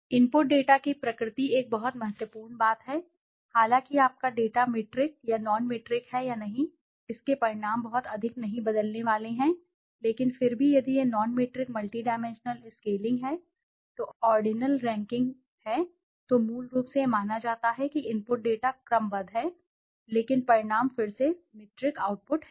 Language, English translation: Hindi, The nature of the input data is a very important thing, although whether your data is metric or non metric the results are not going to change much, but still if it is non metric multidimensional scaling which is ordinal ranking basically it assume that the input data are ordinal but the result is again metric output